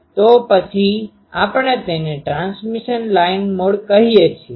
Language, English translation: Gujarati, So, we call it transmission line mode